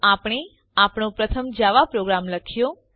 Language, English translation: Gujarati, Alright now let us write our first Java program